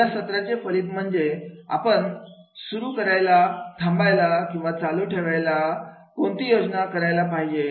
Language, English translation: Marathi, As a result of this session, what do you plan to start, stop or continue doing